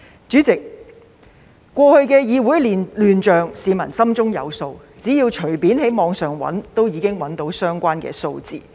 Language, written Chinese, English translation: Cantonese, 主席，過去的議會亂象，市民心中有數，只要隨便在網上搜尋，都可以找到相關數字。, President citizens know pretty well about the commotion in this Council . If you search online you can find the relevant figures